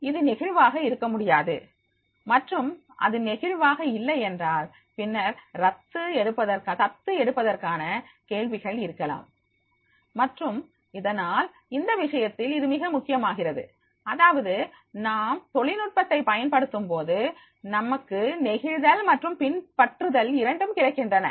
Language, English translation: Tamil, You, it cannot be flexible and if it is not flexible then there may be the question of adaptability and therefore in that case it becomes very important that is when we use the technology we get the flexibility and adaptability and ultimately our productivity is going to increase